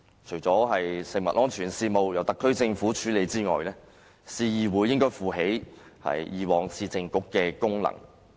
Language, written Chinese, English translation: Cantonese, 除了食物安全事務由特區政府處理外，市議會應該負起以往市政局的職能。, Apart from food safety which is taken charge of by the SAR Government city councils should assume the functions performed by the previous Municipal Councils